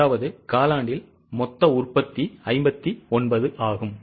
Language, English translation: Tamil, That means during the quarter the total production is 59